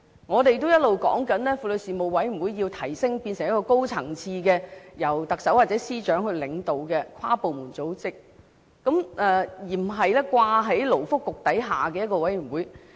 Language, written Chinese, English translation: Cantonese, 我們一直也要求提升婦女事務委員會成為一個高層次、由特首或司長領導的跨部門組織，而不是在勞工及福利局下的一個委員會。, We have all along demanded that the Womens Commission be upgraded to become a high - level cross - departmental organization led by the Chief Executive or the Chief Secretary for Administration rather than being made subordinate to the Labour and Welfare Bureau